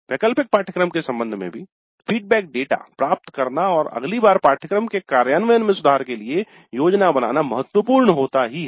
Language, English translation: Hindi, Even with respect to the electric course, it is important to get the feedback data and plan for improvements in the implementation of the course the next time it is offered